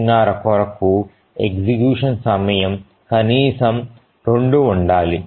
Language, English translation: Telugu, So the task execution time has to be at least 2